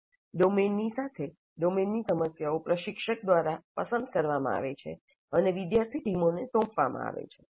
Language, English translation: Gujarati, The domain as well as the problem in the domain are selected by the instructor and assigned to student teams